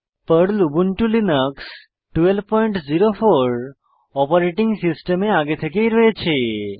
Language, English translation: Bengali, PERL comes pre loaded on Ubuntu Linux 12.04 OS